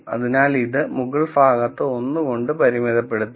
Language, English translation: Malayalam, So, this will be bounded by 1 on the upper side